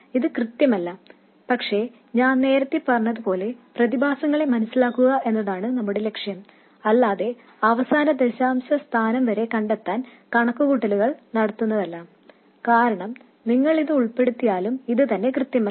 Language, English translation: Malayalam, This is inaccurate, but again, like I said earlier, the goal is to understand the phenomena not to make the calculation to the last decimal point because even if you include this, this itself is not accurate